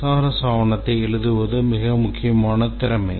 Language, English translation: Tamil, The SRS document development, writing the SRS document is a very important skill